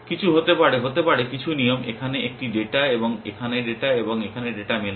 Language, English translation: Bengali, May be some, may be the some rule was matching a data here and data here and data here